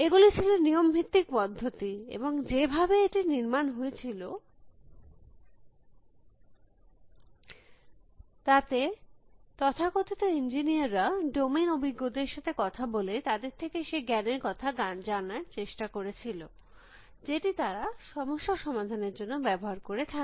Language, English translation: Bengali, These were rule base systems and the way there they were built was that so called, knowledge engineers went and spoke to domain experts and try to elicit from them, the knowledge that the use for solving their problem